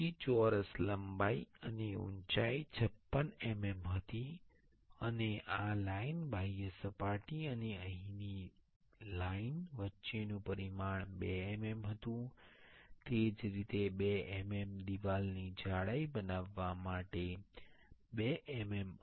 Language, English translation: Gujarati, Then the square length and height were 56 mm, and the dimension between this line, ah, the outer surface and the line here was 2 mm, similarly, 2 mm to make a 2 mm wall thickness